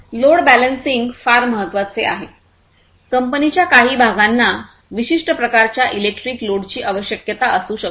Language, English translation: Marathi, Load balancing means like you know certain parts of the company might require or the factory might require certain types of load electric load